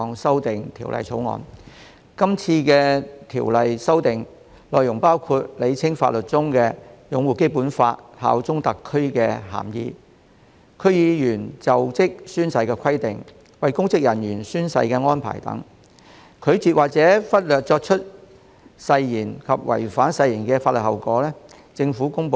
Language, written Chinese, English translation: Cantonese, 這項《條例草案》的修訂內容包括：釐清法例中"擁護《基本法》、效忠特區"的涵義；區議員就職宣誓的規定；為公職人員監誓的安排；拒絕或忽略作出誓言及違反誓言的法律後果。, The content of the amendments of the Bill includes clarification of the meaning of uphold the Basic Law and bear allegiance to SAR in legislation; requirement for members of the District Councils DCs to take an oath when assuming office; arrangement for administration of public officers oaths and the legal consequences of declining or neglecting to take an oath and of breach of an oath